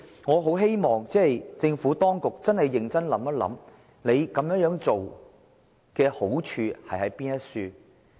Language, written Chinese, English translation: Cantonese, 我很希望政府當局認真想想這樣做有何好處。, I very much hope that the Administration will seriously consider what merits this action will bring